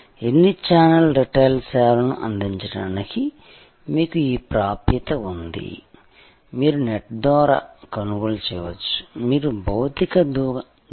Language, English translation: Telugu, You have this access to sort of a how many channel retail service that gives, you can buy over the net you can go to a physical store